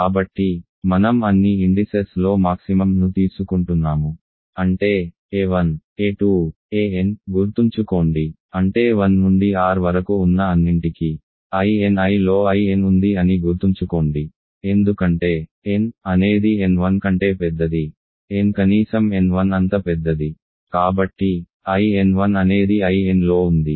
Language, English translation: Telugu, So, I am taking the maximum of all the indices; that means, a 1, a 2, a n, remember this means that I n I is contained in I n for all I from 1 to r because n is bigger than n 1, n is at least as big as n 1 so, I n 1 is contained in I n